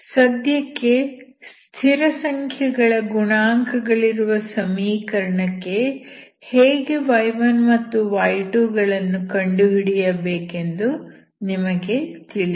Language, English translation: Kannada, As of now for a constant coefficient equation, you know how to find your y1 and y2, okay